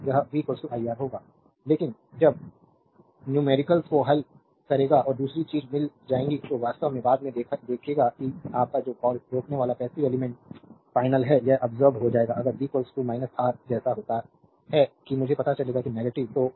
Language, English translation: Hindi, So, it will be v is equal to minus iR, but when we will solve the numericals and other thing we will find that actually later we will see that your what you call that resistor is passive element final it will absorbed power if v is equal to minus R it happens you will find that I will be negative